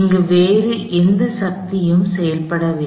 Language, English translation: Tamil, There are no other forces acting on this body